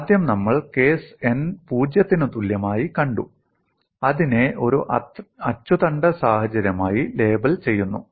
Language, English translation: Malayalam, First we saw the case n equal to 0, we label that as an axis symmetric situation